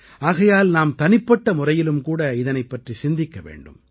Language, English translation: Tamil, Therefore, we have to ponder over this issue on individual level as well